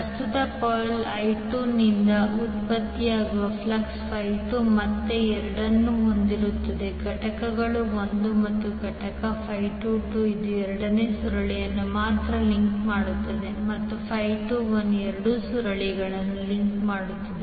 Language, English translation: Kannada, The flux phi 2 which is generated by the current coil I2 will again have the 2 components 1 component phi 22 which will link only the second coil while the phi 21 will link both of the coils